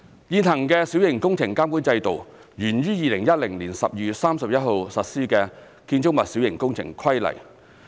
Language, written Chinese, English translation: Cantonese, 現行的小型工程監管制度源於2010年12月31日實施的《建築物規例》。, The prevailing Minor Works Control System MWCS originates from the Building Minor Works Regulation which came into operation on 31 December 2010